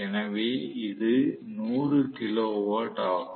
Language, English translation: Tamil, So, this is 100 kilo watt